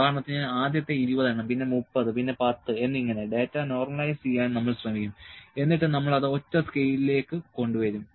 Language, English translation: Malayalam, Like we says for first 20, then 30, then 10 may be we will try to normalise data and we will bring it to the single scale